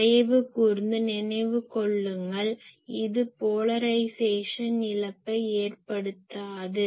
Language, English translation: Tamil, So, obviously, this is please remember that this is subject to no polarisation loss